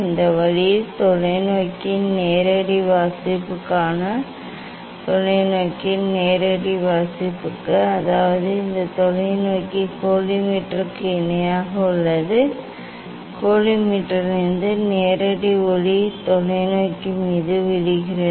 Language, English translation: Tamil, this way this for direct reading of the telescope for direct reading of the telescope; that means, this telescope is parallel to the collimator, direct light from the collimator is falling on the telescope